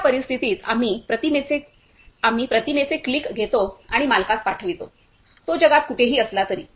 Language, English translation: Marathi, In that case also, we click an image and send to the owner whoever and I mean wherever he is in the world